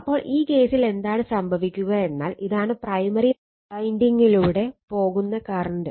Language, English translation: Malayalam, So, in this case what will happe,n this is the current going through the primary winding